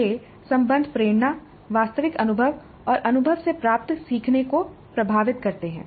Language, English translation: Hindi, These relationships influence the motivation, the actual experience and the learning that results from the experience